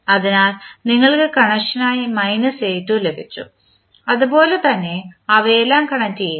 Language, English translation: Malayalam, So, you got minus a2 as the connection and similarly you connect all of them